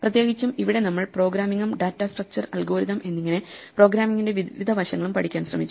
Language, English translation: Malayalam, In particular here we were trying to learn programming and various aspects of programming data structures, algorithms